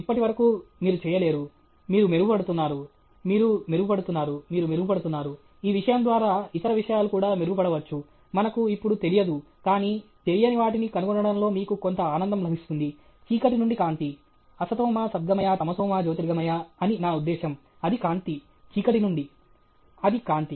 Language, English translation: Telugu, So, far you are not able to… you are improving, you are improving, you are improving; through this thing, other things may also improve; that we don’t know now, but you get some sheer joy out of finding the unknown; darkness to light Asathoma sadgamaya , thamasoma jyothirgamaya, I mean it’s light, from darkness it is light